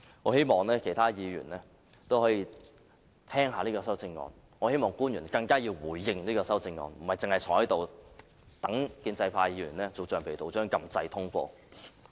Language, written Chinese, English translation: Cantonese, 我希望其他議員也可以看清楚這項修正案的內容，我更希望官員回應這項修正案，而不僅是坐在這裏，待建制派議員當橡皮圖章般按下按鈕通過。, I hope Members can study this amendment clearly and I hope even more that government officials can respond to the amendment rather than just sitting there thinking that the pro - establishment camp will surely press the buttons to rubber - stamp the Budget